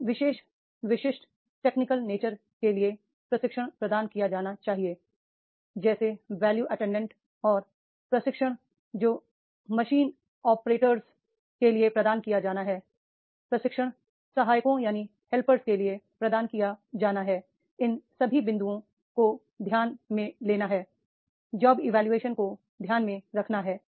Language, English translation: Hindi, The training is to be provided for these particular specific technical nature of job like the Viler attendant and the training which is to be provided for the machine operators, training is to be provided for the helpers, all these points that has to be take the job evaluation has to be taken into consideration